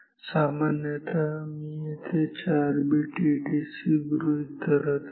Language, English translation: Marathi, Normally, I mean so; here I am take assuming a 4 bit ADC